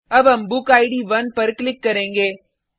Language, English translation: Hindi, We will now click on BookId 1